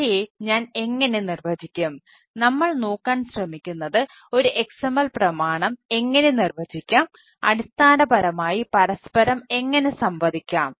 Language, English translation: Malayalam, finally, what we are trying to look at is basically how to how to define an xml document and how it can basically interact with each other